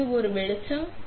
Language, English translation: Tamil, So, this is an illumination